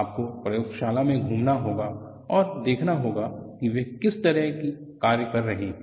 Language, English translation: Hindi, You have to walk along the work shop andsee what kind of practice is that they are doing